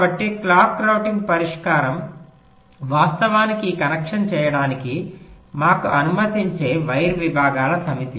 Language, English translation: Telugu, ok, so the clock routing solution is actually the set of wire segments that will allow us to make this connection